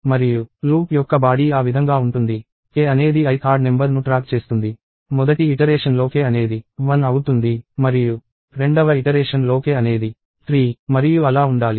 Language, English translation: Telugu, And the body of the loop is in such a way that, k tracks the i th odd number; the very first iteration k is 1; and the second iteration – k is supposed to be 3 and so on